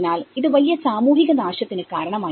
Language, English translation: Malayalam, So, this has caused a huge social destruction